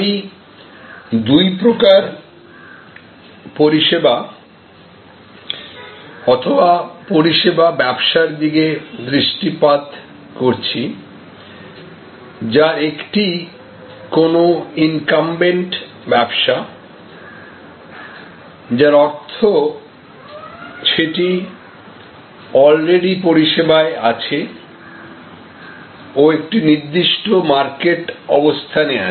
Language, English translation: Bengali, And I am going to look at two types of services or two types of service businesses, one which is an incumbent business; that means that is a business, which is already in service and has a certain market position